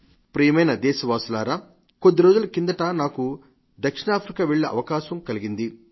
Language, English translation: Telugu, My dear countrymen, I had the opportunity to visit South Africa for the first time some time back